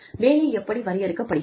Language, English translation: Tamil, What, how the job is defined